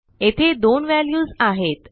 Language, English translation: Marathi, And here we have two values